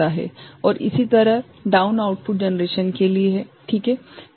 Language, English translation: Hindi, And similarly for the down output generation ok